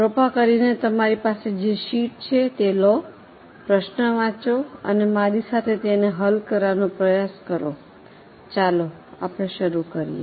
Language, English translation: Gujarati, Please take the sheet which you have, read the problem with me and try to solve it along with me